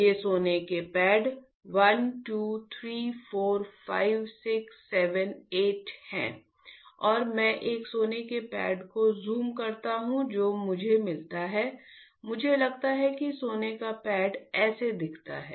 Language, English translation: Hindi, These are the gold pads 1 2 3 4 5 6 7 8 and I zoom one gold pad what do I find, I find that the gold pad looks like this